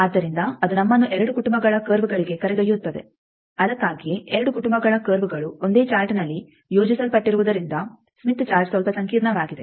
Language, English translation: Kannada, So, that will lead us to two families of curves that is why since two families of curves are plotted on the same chart smith chart looks a bit complicated